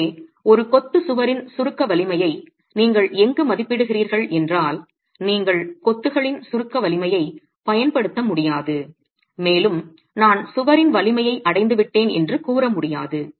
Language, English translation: Tamil, And therefore if you were to estimate the compressive strength of a masonry wall, you cannot use the compressive strength of the masonry and say, I have arrived at the strength of the wall